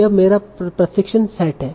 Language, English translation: Hindi, So this is my training set